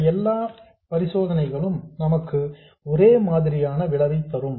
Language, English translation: Tamil, In all these cases we will get exactly the same